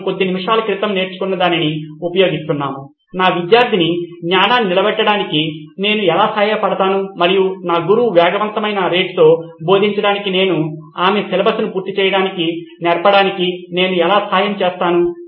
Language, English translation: Telugu, We are using what we just learnt a few minutes ago is how do I help my student retain and how do I help my teacher teach at a fast rate or teach so that she covers her syllabus